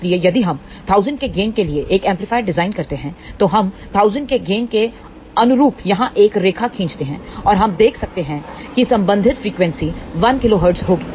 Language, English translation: Hindi, So, if we design an amplifier for a gain of 1000, then the withdrawal line here corresponding to gain of 1000 and we can see that the corresponding frequency will be 1 kilohertz